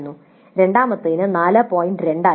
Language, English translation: Malayalam, 8 for the second it was 4